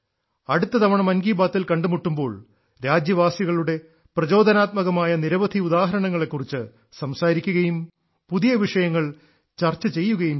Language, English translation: Malayalam, Next time when we meet in Mann Ki Baat, we will talk about many more inspiring examples of countrymen and discuss new topics